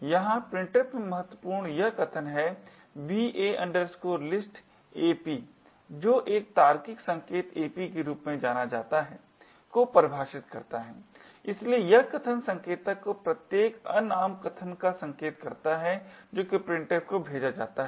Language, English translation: Hindi, Critical in printf is this statement over here va list ap which defines an argument pointer known as ap, so this argument pointer ap points to each unnamed argument that is passed to printf